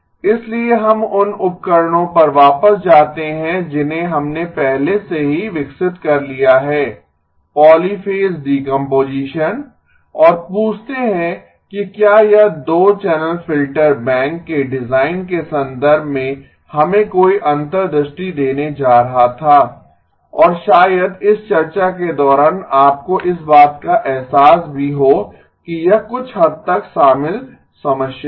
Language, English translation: Hindi, So we go back to the tools that we have already developed polyphase decomposition and ask if this was going to give us any insights in terms of the design of the 2 channel filter bank and probably the course of this discussion you also get a feel for that this is a somewhat of a involved problem